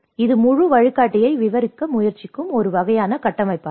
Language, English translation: Tamil, This is a kind of framework which they try to describe the whole guide